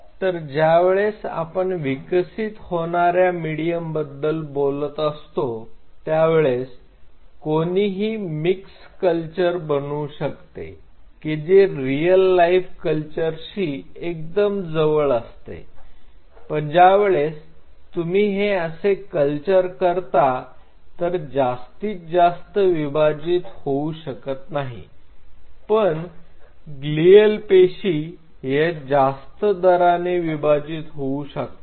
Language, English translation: Marathi, So, when we talk about developing this medium one has to make a call that do you want a mixed culture really absolutely close in to real life culture, but then if you have to do this there is one catch is this that neurons may not divide, but the glial cells will divide at a faster rate